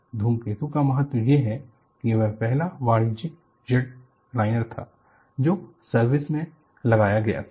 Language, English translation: Hindi, The importance of comet is, this was the first commercial jet liner put into service